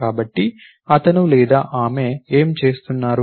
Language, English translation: Telugu, So, what is he or she do